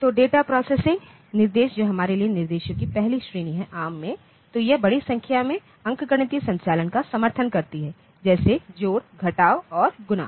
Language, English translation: Hindi, So, the data processing instruction that is a first category of instructions that we have for ARM; So, we it supports arithmetic large number of arithmetic operations, like addition subtraction and multiplication